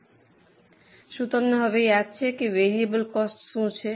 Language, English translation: Gujarati, So, do you remember now what is a variable cost